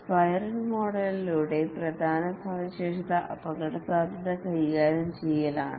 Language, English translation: Malayalam, The main feature of the spiral model is risk handling